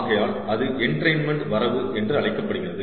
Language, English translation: Tamil, ok, so that is called the entrainment limit